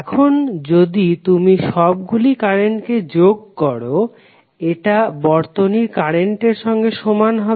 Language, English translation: Bengali, So if you sum up all the currents, it will be equal to current shown in the circuit